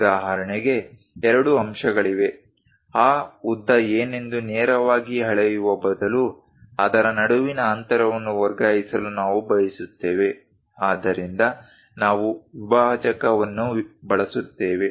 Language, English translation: Kannada, For example, there are two points; instead of directly measuring what is that length, we would like to transfer the distance between that, so we use divider